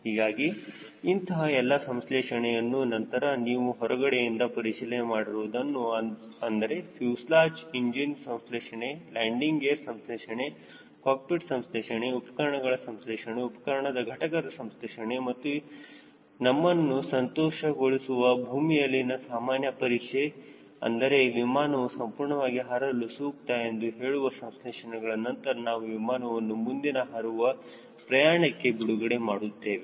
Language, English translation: Kannada, so with all these inspections you have seen the inspection outside the fuselage, the engine inspection, the landing gear inspection, the cockpit inspection, the instrument inspection, the instrument panel inspection and the ground run, after satisfying your, ourself that the aircraft is completely safe for flying